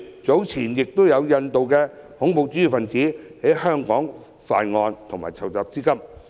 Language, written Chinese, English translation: Cantonese, 早前有印度的恐怖主義分子在香港犯案及籌集資金，正是一例。, This is illustrated by the recent case in which an Indian terrorist has committed crimes and raised funds in Hong Kong